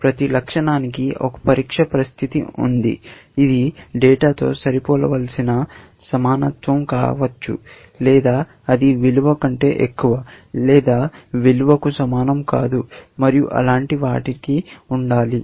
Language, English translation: Telugu, For every attribute, there is a test condition, which could be equality that it must match the data, or it must be something, like greater than a value, or not equal to a value and things like that